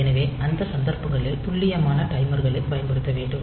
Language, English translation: Tamil, So, in those cases we need to use this precise timers and this